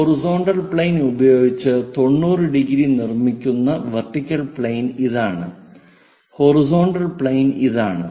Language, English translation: Malayalam, So, this is vertical plane which is making 90 degrees with the horizontal plane and horizontal plane is this